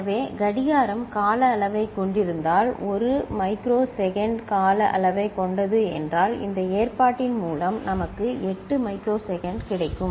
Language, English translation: Tamil, So, if the clock is of time period is of 1 microsecond duration, then by this arrangement we will get 8 microsecond